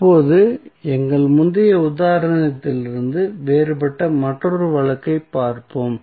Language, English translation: Tamil, Now, let us see another case which is different from our previous example